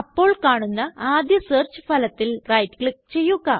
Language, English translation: Malayalam, Right click on the first search result that appears